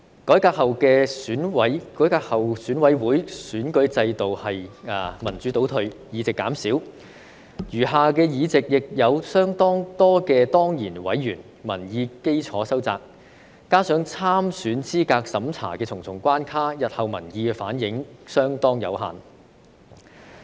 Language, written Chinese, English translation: Cantonese, 改革後的選委會選舉制度是民主倒退，議席減少，餘下議席亦有相當多的當然委員，民意基礎收窄，加上對參選資格審查的重重關卡，日後民意反映相當有限。, The reformed EC election system is a regression in democracy where the number of seats is reduced and a considerable proportion of the remaining seats is occupied by ex - officio members . With the shrunken electorate base and the many hurdles in the candidate eligibility review the reflection of public views will be very limited in the future